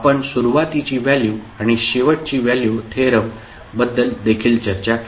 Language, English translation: Marathi, We also discussed initial value and final value theorems